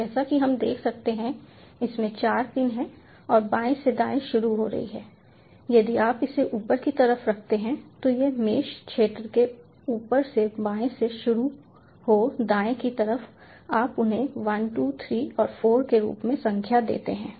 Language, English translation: Hindi, so as we can see, it has four pins and starting from left to right, if you keep this upfront, this mesh region upfront, starting from left to right, you number them as one, two, three and four